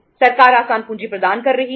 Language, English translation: Hindi, Government was providing the easy capital